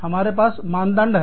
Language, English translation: Hindi, We have standards